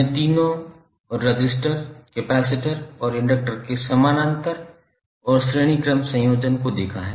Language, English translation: Hindi, So we saw the parallel and series combination of all the three resistors, capacitors and inductors